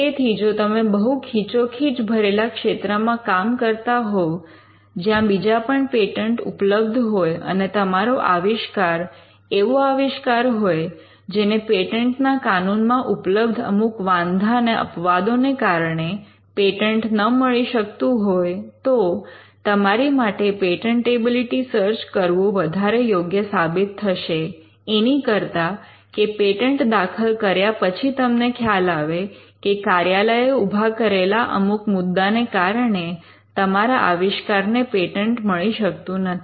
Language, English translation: Gujarati, So, if you are operating in a heavily crowded field, where there are other patents, or if your invention is an invention that would not be granted a patent due to certain objections or exceptions in the patent law, then you would save much more in costs if you get a patentability search done rather than filing a patent, and then realizing through office objections that your invention cannot be patented